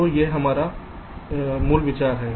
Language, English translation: Hindi, so this is the basic idea